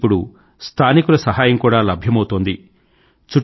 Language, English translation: Telugu, They are being helped by local people now